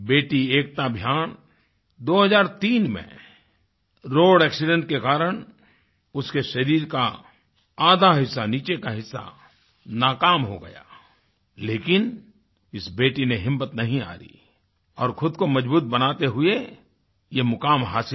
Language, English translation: Hindi, Daughter Ekta Bhyan in 2003, lost the use of half of her lower body due to road accident, but this daughter did not lose courage and made herself all the more stronger to perform this grand feat